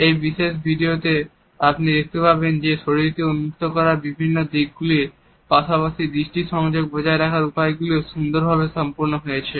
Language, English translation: Bengali, In the particular video you would find that these aspects of opening up one’s body as well as maintaining the eye contact is done very nicely